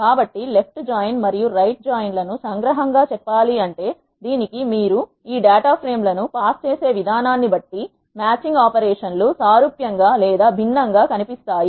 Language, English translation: Telugu, So, to summarize left join and right join can be used vice versa, but depending upon the way you pass this data frames, the matching operations will either look similar or different